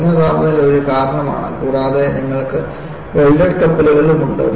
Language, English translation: Malayalam, Low temperature is one cause and you also have welded ships